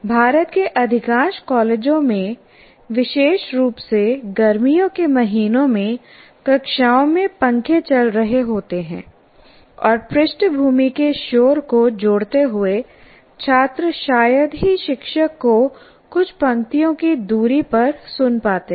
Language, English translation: Hindi, And in some colleges, especially India being a very hot country in most of the places, one can have in a hot, during hot times you have fans running and with a lot of background noise, you can hardly hear the teacher just a few rows away from the teacher